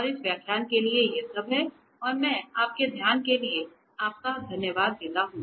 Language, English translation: Hindi, And so, that is all for this lecture and I thank you very much for your attention